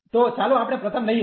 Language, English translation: Gujarati, So, let us take the first one